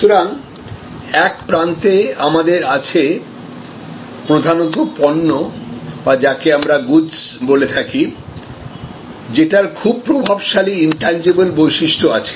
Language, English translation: Bengali, So at one end we have mainly products or we call goods, very dominant intangible characteristics